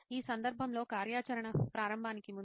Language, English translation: Telugu, In this case, in this activity, before the activity starts